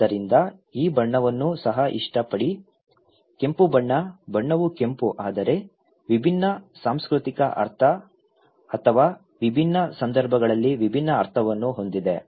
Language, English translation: Kannada, so, also like this colour; red colour, the colour is red but it has different meaning in different cultural or different context